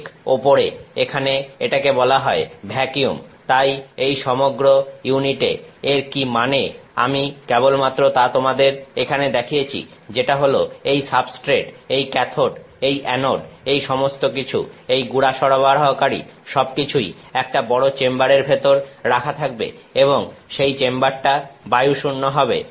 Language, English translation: Bengali, This is it says here vacuum right on top so, what this means is this whole unit that I have just shown you here which is the substrate, the cathode, the anode all this supply this powder everything is sitting inside a big chamber and the chamber is evacuated